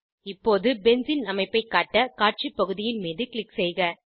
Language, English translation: Tamil, Now click on the Display area to display Benzene structure